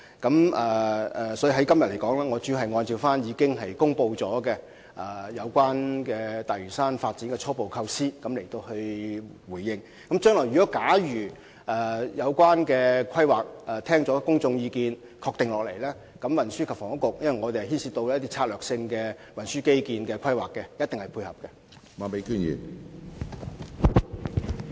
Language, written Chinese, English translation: Cantonese, 我今天主要會就已公布的大嶼山發展初部構思作回應，但若有關規劃在聽取公眾意見後獲得肯定，運輸及房屋局——因為本局也會參與策略性運輸基建規劃——一定會予以配合。, Today I will respond mainly to the preliminary concept of the Lantau Development which has already been announced . However if the relevant planning is affirmed after public views are received the Transport and Housing Bureau―which will also participate in the strategic transport infrastructure planning―will definitely cooperate